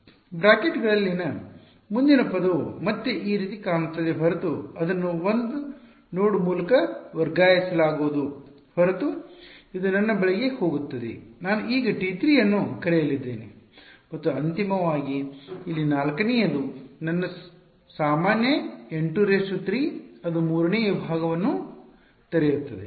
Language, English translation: Kannada, The next term in the brackets again it's going to look just like this one except it will be shifted to by 1 node right this is going to my I am going to call this T 3 and finally, the fourth one over here is going to be my usual N 3 2 that is right opening third segment